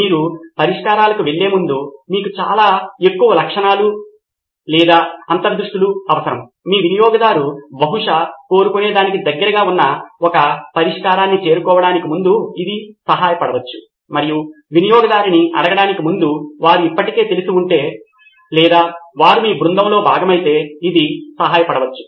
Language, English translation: Telugu, You need many, many more features or insights before you jump to solutions, before you arrive at a solution which is closer to what your user probably wants and asking the user, It may help if they are already know or they are part of your team also it may help